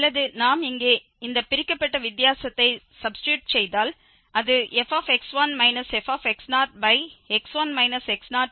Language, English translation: Tamil, Or if we substitute here this divided difference so, that was actually this f x 1 minus f x naught over x 1 minus x naught